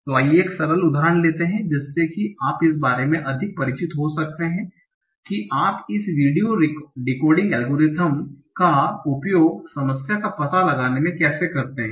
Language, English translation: Hindi, So let's take a simple example so that you can become much more familiar with that how do you use this VDW recording algorithm for any problem